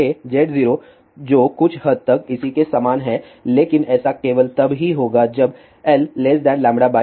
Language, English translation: Hindi, j Z 0 which is somewhat similar to there, but this will happen only if L is less than lambda by 4